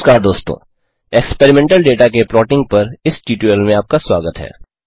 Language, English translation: Hindi, Hello Friends and Welcome to this tutorial on Plotting Experimental data